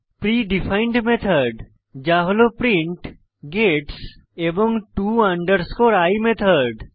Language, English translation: Bengali, Pre defined method that is print, gets and to i method